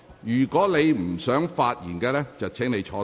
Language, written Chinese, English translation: Cantonese, 如果你不想發言，便請坐下。, If you do not wish to speak please sit down